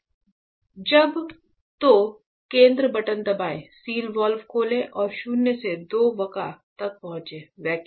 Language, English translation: Hindi, When the, so press the center button, open the seal valve and reach the minus 2 vacua; chamber vacuum